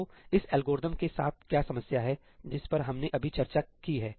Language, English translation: Hindi, So, what is the problem with this algorithm that we just discussed